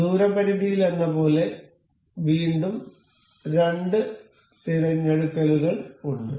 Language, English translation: Malayalam, So, same as in distance limit, we have again the two selections to be made